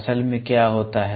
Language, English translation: Hindi, Basically, what happens